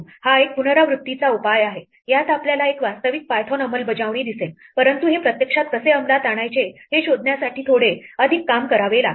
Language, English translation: Marathi, This is a recursive solution that we get we will see an actual python implementation, but we have to do a little bit more work to figure out how to actually implement this